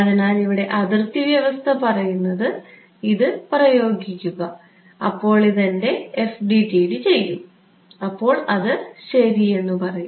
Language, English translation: Malayalam, So, the boundary condition is going to say that apply this, this is what my FDTD will do, it will say ok